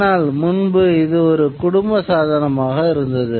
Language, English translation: Tamil, Earlier it would be a family device